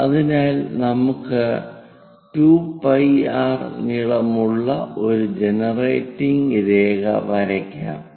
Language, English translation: Malayalam, So, let us use a generating line 2 pi r we have to do